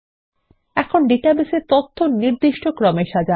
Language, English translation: Bengali, Now lets sort the data in this database